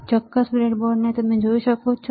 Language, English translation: Gujarati, Can you see this particular breadboard